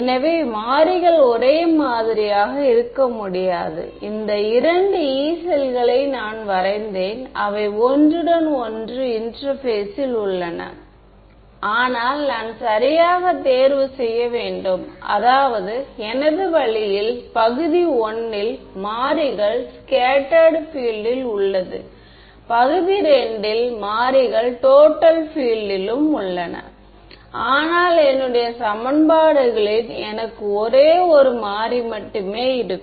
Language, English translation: Tamil, So, that is what the variables cannot be the same right I have drawn these two Yee cells they are overlapping at the interface, but I have to choose right I mean is my way in region I the variables is scattered field in the region II the variable is total field ok, but in my equations I am going to have only one variable right